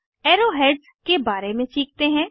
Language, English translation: Hindi, Now lets learn about Arrow heads